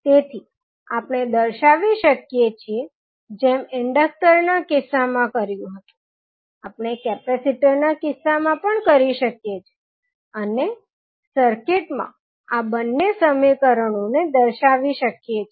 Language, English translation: Gujarati, So, we can represent as we did in case of inductor, we can do in case of capacitor also and represent these two equations in the circuit